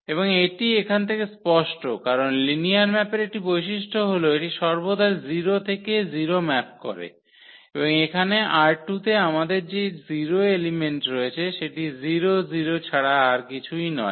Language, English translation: Bengali, And this is clear from here because one of the properties of the linear map is that it always maps 0 to 0 and we have here in R 2 our 0 element is nothing but 0 comma 0, that is the element in R 2